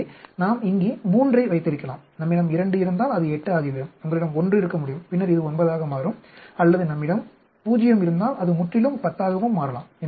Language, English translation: Tamil, So, we can have here 3, if we have 2 then this will become 8, and you can have 1 then this will become 9, or if we have 0 this can become entirely 10 also